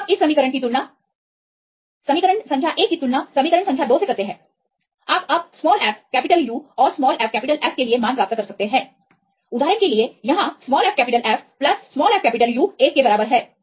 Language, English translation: Hindi, Now you compare this equation the equation number one and equation number 2 you can derive the values now for fU and fF; for example, here fF plus fU equal to 1